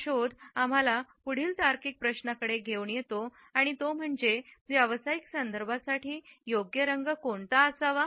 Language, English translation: Marathi, This finding brings us to the next logical question and that is what may be the suitable colors for professional contexts